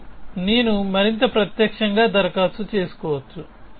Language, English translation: Telugu, So, now I can apply more directly essentially